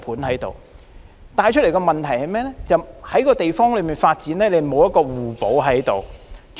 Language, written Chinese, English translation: Cantonese, 這反映出的問題，是這個地方的各項發展沒有互補作用。, This reflects the problem that the various development projects in this area are not complementary in nature